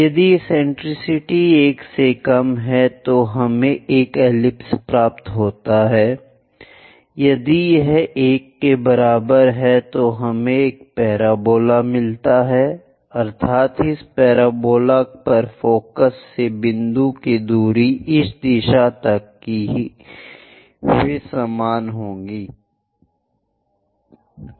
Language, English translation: Hindi, If eccentricity less than 1 we get an ellipse, if it is equal to 1, we get a parabola, that means from focus to point on this parabola and distance from this point to this directrix they are one and the same